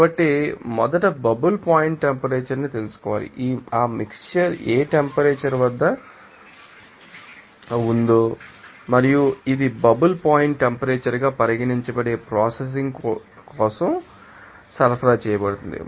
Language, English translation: Telugu, So, you have to know first that you know bubble point temperature at which temperature this you know that mixture is exist and also it is supplied for the processing that can be considered as the bubble point temperature